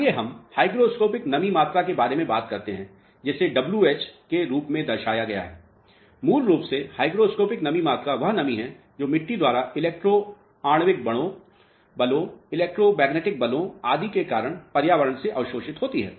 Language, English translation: Hindi, Let us talk about the hygroscopic moisture content which is depicted as w h, basically hygroscopic moisture content is the moisture which is absorbed by the soil from the environment due to electro molecular forces, electromagnetic forces and so on